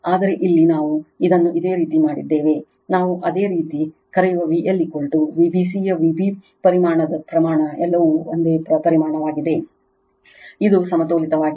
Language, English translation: Kannada, But here we have made it your, what we call your V L is equal to magnitude of V b magnitude of V b c all are same magnitude of it is balanced